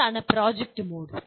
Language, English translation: Malayalam, What is project mode